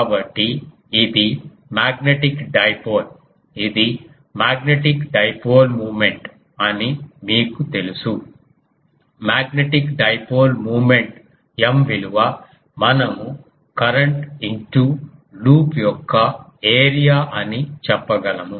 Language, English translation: Telugu, So, it is a magnetic dipole its magnetic dipole moment you know that magnetic dipole moment M that we can say will be the area of the loop into the current